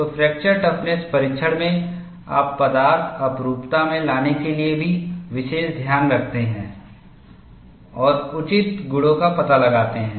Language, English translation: Hindi, So, in fracture toughness testing, you also take special care to bring in the material anisotropy and find out the appropriate properties